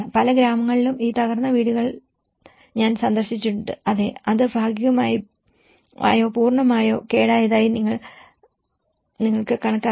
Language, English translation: Malayalam, In many of the villages, where I have seen I visited that these damaged houses yes, they have been accounted that this has been partially damaged or fully damaged